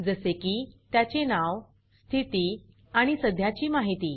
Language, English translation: Marathi, Like its name, status and current information